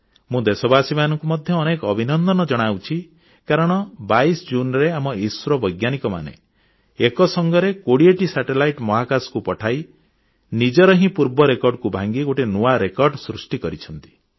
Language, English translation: Odia, I also want to congratulate the people of the country that on 22nd June, our scientists at ISRO launched 20 satellites simultaneously into space, and in the process set a new record, breaking their own previous records